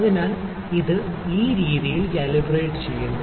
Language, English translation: Malayalam, So, it is calibrated in this way